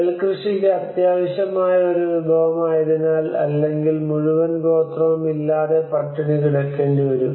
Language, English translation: Malayalam, Because it is a resource essential to the cultivation of rice, without an entire settlement could be starved